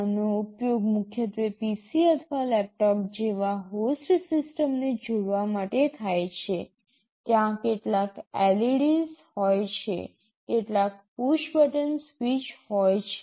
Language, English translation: Gujarati, This is primarily used to connect with a host system like a PC or a laptop, there are some LEDs, some push button switches